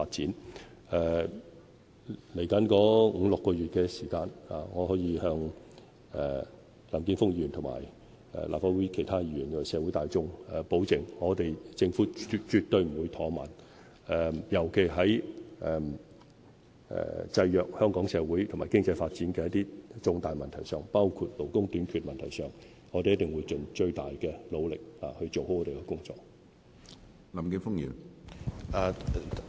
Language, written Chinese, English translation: Cantonese, 接下來的五六個月時間，我可以向林健鋒議員、立法會其他議員和社會大眾保證，政府絕對不會怠慢，尤其是在制約香港社會和經濟發展的一些重大問題上，包括勞工短缺的問題上，我們一定會盡最大的努力做好我們的工作。, In the coming five to six months I can assure Mr Jeffrey LAM other Members of the Legislative Council and the community that the Government definitely will not procrastinate particularly in respect of some major issues constraining Hong Kongs social and economic developments including labour shortage . We will definitely try our utmost to do our work well